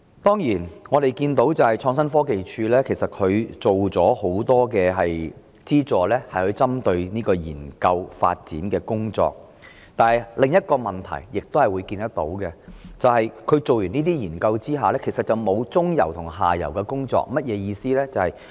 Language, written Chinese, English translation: Cantonese, 當然，我們看到創科署提供了許多針對研究發展的資助，但由此衍生另一個問題，便是這些研究完成了後，其實並沒有接續中游和下游的工作，這是甚麼意思？, Of course we have noted that ITC has provided a great deal of subsidies targeting research and development . But there arises another problem that is such researches after completion are not articulated with midstream and downstream work . What does it mean?